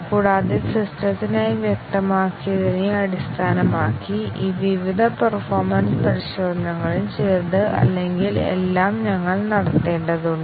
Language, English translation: Malayalam, And, based on what is specified for the system, we have to carry out some or all of these various performance tests